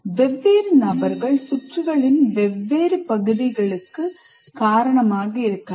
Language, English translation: Tamil, And many different people may be responsible for different parts of the circuit as well